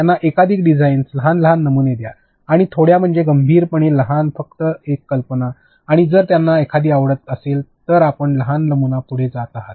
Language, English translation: Marathi, Give them multiple designs, small small prototypes and by small I mean seriously small; simply an idea and if they like one then you going to small prototype